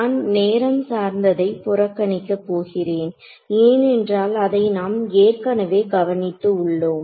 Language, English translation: Tamil, I am ignoring the time dependency we have already taken care of that